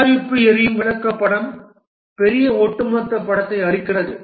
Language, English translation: Tamil, The product burn down chart gives the big overall picture